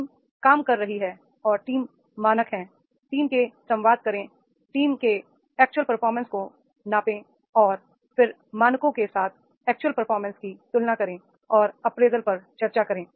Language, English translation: Hindi, The team is working and team is working, team standards are there, communicate the team, the major actual performance of the team and then compare the actual performance with the standards and discuss the appraisal